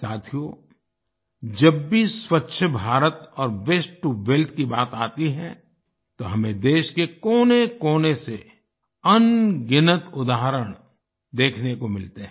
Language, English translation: Hindi, Friends, whenever it comes to Swachh Bharat and 'Waste To Wealth', we see countless examples from every corner of the country